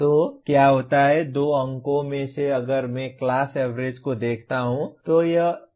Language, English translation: Hindi, So what happens, out of the 2 marks if I look at the class average, it is 1